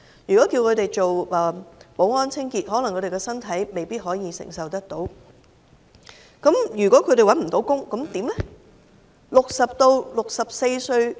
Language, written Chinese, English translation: Cantonese, 如果叫他們做保安、清潔，可能他們的身體未必承受得來，如果找不到工作，怎麼辦呢？, They might not be able to take up security or cleaning jobs due to their health conditions . What should they do if they fail to find a job?